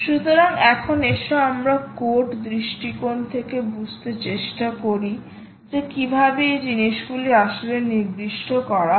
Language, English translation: Bengali, so now lets move on to understand from a from code perspective, how exactly these things actually are